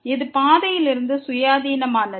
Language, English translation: Tamil, This is independent of the path